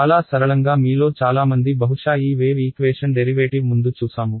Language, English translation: Telugu, Fairly simple many of you have probably seen this wave equation derivation earlier ok